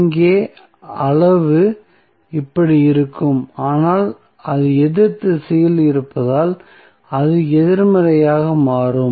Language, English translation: Tamil, So, here the magnitude would be like this, but, since it is in the opposite direction it will become negative